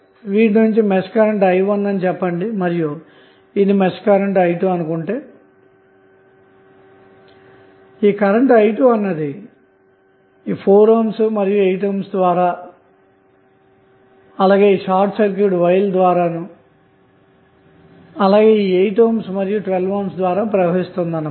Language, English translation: Telugu, Let us say this is the mesh current as i 1 and this is mesh current as i 2 which is flowing through 4 ohm, 8 ohm and then this through short circuit wire then again 8 ohm and 12 volt source